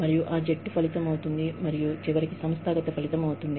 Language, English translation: Telugu, And, that becomes a team outcome, and eventually, an organizational outcome